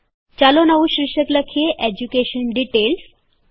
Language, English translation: Gujarati, Lets type a new heading as EDUCATION DETAILS